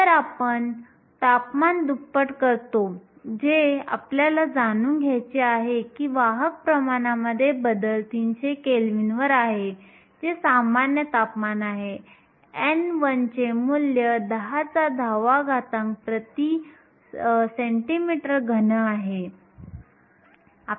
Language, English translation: Marathi, So, we double the temperature we want to know what the change in carrier concentration is at 300 kelvin, which is room temperature; n 1 has a value of 10 to the 10 per centimeter cube